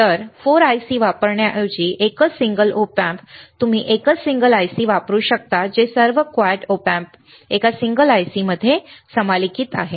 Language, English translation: Marathi, So, instead of using 4 ICs which is single Op Amp, you can use one single IC which are all 4 Op Amps integrated into one single IC